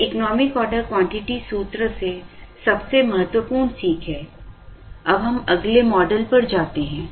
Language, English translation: Hindi, This is the most important learning from the economic order quantity formula; now let us move to the next model